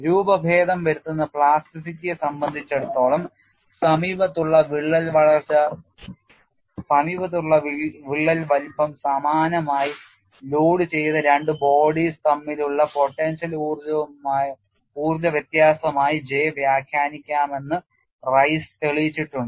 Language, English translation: Malayalam, Rice has shown that for deformation plasticity J can be interpreted as a potential energy difference between two identically loaded bodies having neighboring crack sizes